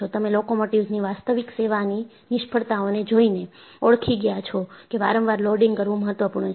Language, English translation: Gujarati, You have recognized by looking at, actual service failures of locomotives, repeated loading is important